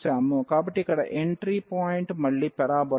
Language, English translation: Telugu, So, here the entry point is again the parabola